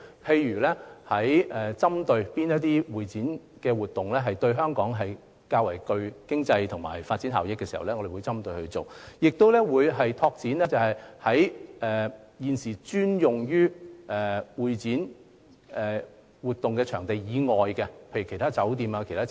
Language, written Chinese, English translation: Cantonese, 例如，我們會針對性地發展對香港較具經濟及發展效益的會展活動，亦會拓展現有專用會展場地以外的設施，例如酒店或其他設施。, For example we will focus on developing CE activities which will bring greater economic and development benefits to Hong Kong and also expand the existing ancillary facilities aside from venues for CE activities such as hotels or other facilities